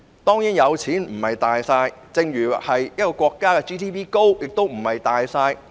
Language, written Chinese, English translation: Cantonese, 當然有錢不是"大晒"，正如一個國家的 GNP 高亦非"大晒"。, Of course having money does not mean one can call all the shots just as a country having a high Gross National Product GNP does not mean it can call all the shots